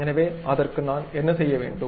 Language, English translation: Tamil, So, for that purpose, what I have to do